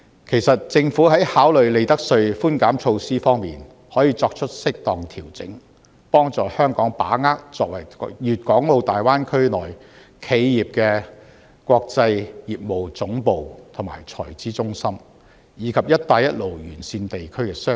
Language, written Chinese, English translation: Cantonese, 其實，政府在考慮利得稅寬減措施方面，可以作出適當調整，幫助香港把握作為粵港澳大灣區內企業的國際業務總部及財資中心，以及"一帶一路"沿線地區的商機。, In fact in considering concession measures on profits tax the Government may make appropriate adjustments to facilitate Hong Kong in seizing the business opportunities of being the headquarters of international businesses and the treasury centre in the Guangdong - Hong Kong - Macao Greater Bay Area as well as a region along the Belt and Road